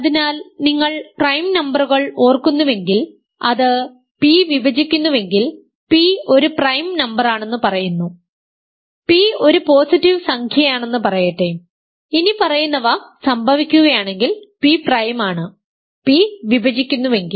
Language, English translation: Malayalam, So, the point is if you remember prime numbers, it says that p is a prime number if p divides, recall let us say p is a positive integer, p is prime if the following happens: p divides